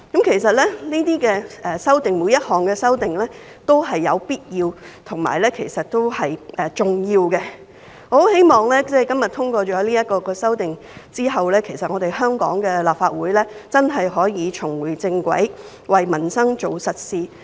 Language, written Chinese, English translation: Cantonese, 其實，每項修訂都是必要及重要的。我很希望，在今天通過了這些修訂之後，香港的立法會真的可以重回正軌，為民生做實事。, Actually all the amendments are necessary and important and I very much hope that after the amendments are passed today the Hong Kong Legislative Council can really get back on track and do concrete things for peoples livelihood